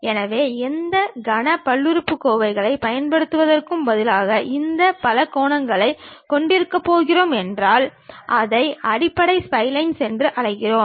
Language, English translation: Tamil, So, instead of using any cubic polynomials, if we are going to have these polygons, we call that as basis splines